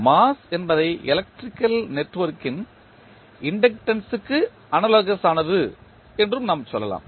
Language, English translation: Tamil, Now, we can also say that mass is analogous to inductance of electric network